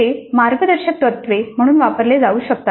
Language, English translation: Marathi, They can be used as guidelines